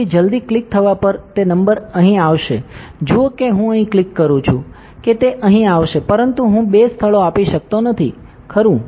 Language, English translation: Gujarati, So, as soon as a click it that number come here, see if I click here it will come here, but I cannot give two places, right